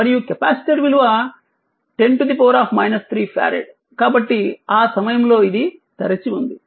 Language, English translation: Telugu, And capacitor value is 10 to the power minus 3 farad, so at that time this was open right